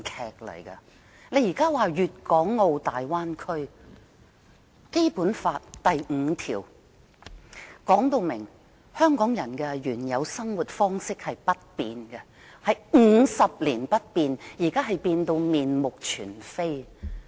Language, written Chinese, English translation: Cantonese, 現時，我們討論有關粵港澳大灣區的發展，但《基本法》第五條訂明，香港人的原有生活方式50年不變，可是現已面目全非。, We are now discussing the development of the Guangdong - Hong Kong - Macao Bay Area . But according to article 5 of the Basic Law our previous way of life is supposed to be unchanged for 50 years and now our way of life is totally changed